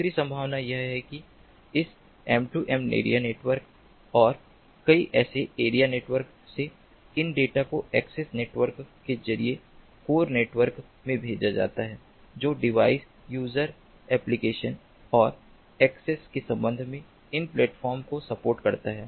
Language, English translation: Hindi, the other possibility is that from this m two m area network and several such [are/area] area networks, these data are sent through the access network to the core network, which supports these platforms with respect to device, user application and access